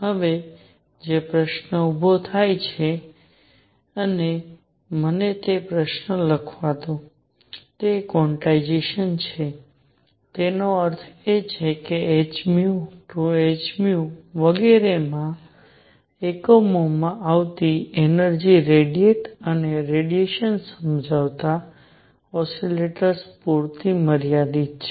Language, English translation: Gujarati, Now the question that arises and let me write that question is quantization; that means, energy coming in units of h nu 2 h nu and so on limited to oscillators that radiate and radiation explain